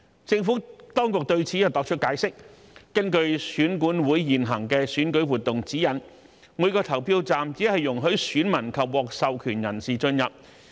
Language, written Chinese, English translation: Cantonese, 政府當局對此作出解釋，根據選舉管理委員會現行的選舉活動指引，每個投票站只容許選民及獲授權人士進入。, In this connection the Administration has explained that according to the prevailing Guidelines on Election - related Activities issued by the Electoral Affairs Commission only electors and authorized persons are allowed entry into a polling station